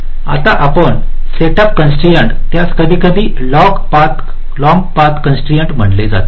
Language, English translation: Marathi, now, you see, setup constraint is sometimes called long path constraint